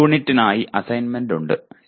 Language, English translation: Malayalam, There is the assignment for this unit